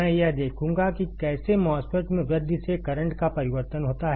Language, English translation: Hindi, I will see how the change of current occurs in enhancement type MOSFET